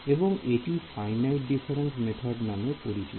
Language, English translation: Bengali, So, that is known by the name of finite difference methods